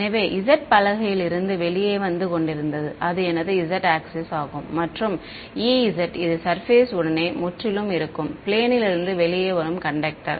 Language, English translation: Tamil, So, z was coming out of the board that was my z axis; and e z is which where it is purely along the surface of the conductor that is coming out of the plane